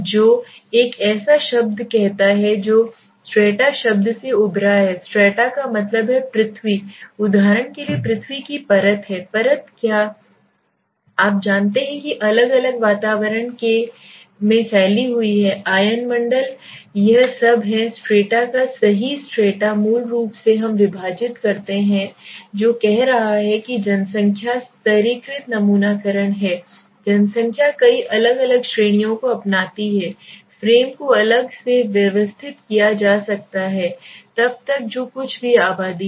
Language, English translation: Hindi, Which says a word which is itself is a word like strata right so this is emerged from the word strata right what does the strata mean the earth the earth is for example the crust of the earth the layer is you know spread up into different strata s okay the atmosphere, ionosphere all this are strata s right strata basically we divide what is saying a population stratified sampling is a population embraces a number of distinct categories the frame can be organized into separate strata so whatever is a population let s say